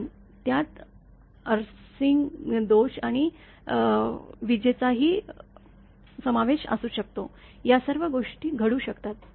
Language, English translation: Marathi, But may also include the arcing faults and even lightning; all these things can happen